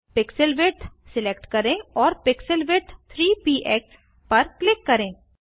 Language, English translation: Hindi, Select Pixel width and click on the pixel width 3 px